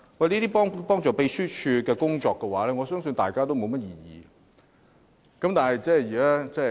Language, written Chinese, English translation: Cantonese, 這些幫助秘書處工作的修訂建議，我相信大家也沒有異議。, These proposed amendments will assist in the work of the Secretariat and I believe there is no objection